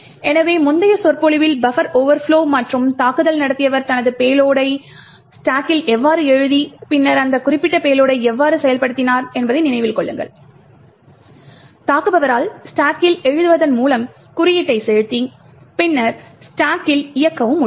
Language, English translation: Tamil, So, recollect that in the previous lecture when we looked at the buffer overflow and how the attacker wrote his payload in the stack and then executed that particular payload is that the attacker was able to inject code by writing to the stack and then execute in the stack